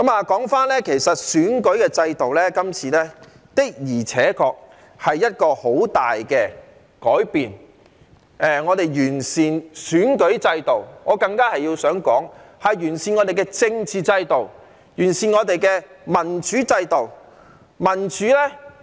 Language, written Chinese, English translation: Cantonese, 說回選舉制度，今次修訂的而且確是一個很大的改變，我們要完善選舉制度，但我想說這更是完善我們的政治制度，完善我們的民主制度。, Coming back to the electoral system this amendment exercise will indeed bring about a drastic change . We have to improve our electoral system but I wish to say that it will even improve our political system and democratic system as well